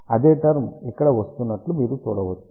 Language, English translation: Telugu, You can see that same term is coming over here